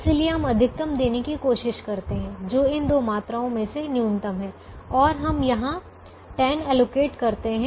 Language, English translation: Hindi, so we try to give the maximum, which is the minimum of these two quantities, and we allocate a ten here